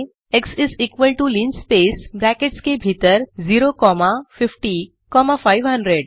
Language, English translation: Hindi, So we can type on the terminal x=linspace within brackets 0 comma 50 comma 500